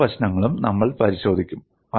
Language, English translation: Malayalam, We will also look at other issues